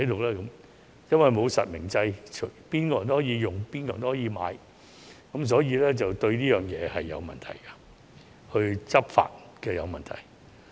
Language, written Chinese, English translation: Cantonese, 由於沒有實名制，任何人都可以使用和購買八達通，這是有問題的，對執法亦構成問題。, In the absence of real - name registration everyone can use and purchase an Octopus card anytime which is a problem and this has also posed a problem to law enforcement